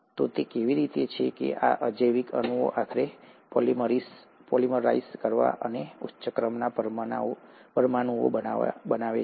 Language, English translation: Gujarati, So how is it that these abiotic molecules eventually went on to polymerize and form higher order molecules